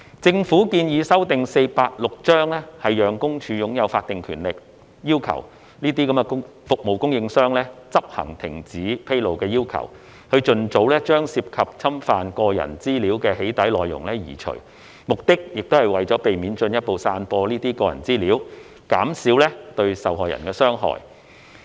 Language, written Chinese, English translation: Cantonese, 政府建議修訂《私隱條例》，讓私隱公署擁有法定權力要求這些服務供應商執行停止披露的要求，以盡早將涉及侵犯個人資料的"起底"內容移除，目的也是為避免進—步散播該等個人資料，減少對受害人的傷害。, The Government proposes to amend PDPO to confer on PCPD the statutory power to request such service providers to comply with the cessation notices in order that doxxing contents that intrude into personal data privacy are removed early the purpose of which is also to prevent further dissemination of personal data and minimize the harm caused to the victims